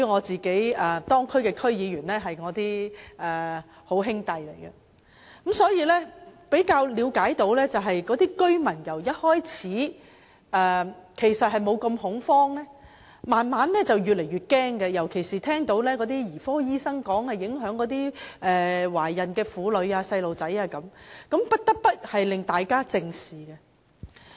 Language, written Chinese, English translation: Cantonese, 這些地區的區議員均是我的友好，所以我也比較了解有關的情況，知道區內居民由初期的不太恐慌，發展至越來越感到惶恐，尤其是聽到兒科醫生說飲用含鉛食水會影響懷孕婦女及小孩子，大家也就不得不正視。, As District Council members serving such places are all my friends I know the relevant situation in these areas quite well and understand that the incident had not triggered much panic among residents in the districts at the beginning but they were increasingly gripped by fear later . Particularly when paediatricians cautioned that consumption of water containing lead could have adverse health effects on pregnant women and children we all felt that we must face up to the problem squarely